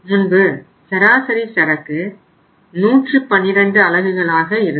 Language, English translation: Tamil, Earlier how much was the average inventory, it was 112 units